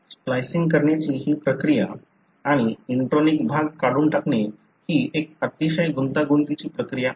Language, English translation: Marathi, This process of splicing, removing the intronic region is a very complex process